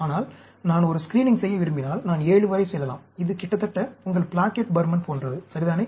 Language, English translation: Tamil, But, if I want to do a screening, I can go up to 7; it is almost like your Plackett Burman, ok